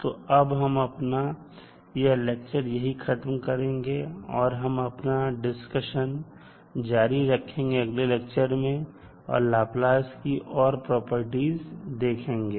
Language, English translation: Hindi, We will continue our discussion in the next class where we will discuss few more properties of the Laplace transform